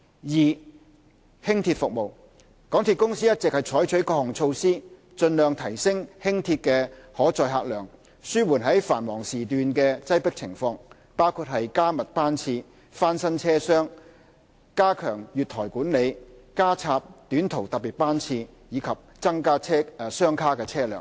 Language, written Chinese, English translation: Cantonese, 二輕鐵服務港鐵公司一直採取各項措施，盡量提升輕鐵的可載客量，紓緩繁忙時段的擠迫情況，包括加密班次、翻新車廂、加強月台管理、加插短途特別班次，以及增加雙卡車輛。, 2 Light Rail Service MTRCL has been adopting various measures to enhance the carrying capacity of Light Rail as far as practicable in order to relieve the crowdedness during peak hours . These measures include increasing frequency of service refurbishing Light Rail compartments enhancing platform management adding short haul special service and deploying more coupled - set Light Rail Vehicles LRVs